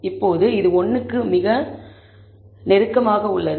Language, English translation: Tamil, Now this is pretty close to 1